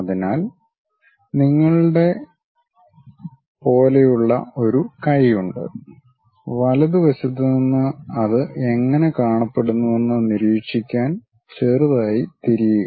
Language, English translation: Malayalam, So, something like you have a hand, slightly turn observe it from right hand side how it really looks like